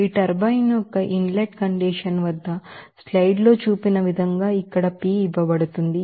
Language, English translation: Telugu, So, here see that, at the inlet condition of this turbine, as shown here in the slide, that P is given here